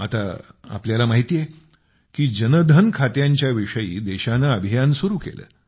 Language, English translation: Marathi, You are aware of the campaign that the country started regarding Jandhan accounts